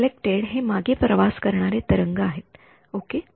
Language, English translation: Marathi, Reflected is a backward traveling wave ok